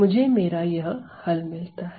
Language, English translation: Hindi, I get my solution as follows